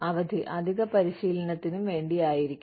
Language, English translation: Malayalam, Time off, it could also be, for additional training